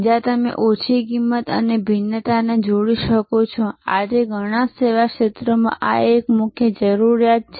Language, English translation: Gujarati, Where, you can combine low cost and differentiation, this is a key requirement today in many service areas